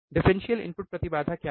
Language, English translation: Hindi, What is differential input impedance